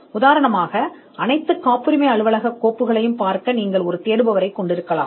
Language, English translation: Tamil, For instance, you could have one searcher to look at all the patent office files